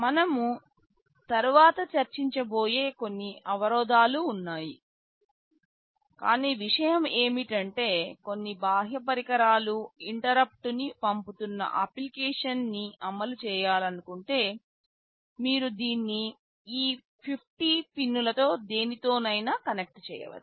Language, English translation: Telugu, There are some constraints we shall be discussing later, but the thing is that if we want to implement an application where some external devices are sending interrupt, you can connect it to any of these 50 pins